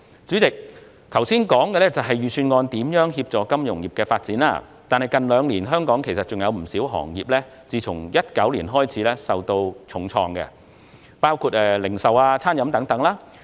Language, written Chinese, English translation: Cantonese, 主席，我剛才談及預算案如何協助金融業發展，但其實香港不少其他行業自2019年起受到重創，當中包括零售業及餐飲業等。, President just now I have talked about how the Budget facilitates the development of the financial industry but in fact many other industries in Hong Kong including the retail and catering industries have been hit hard since 2019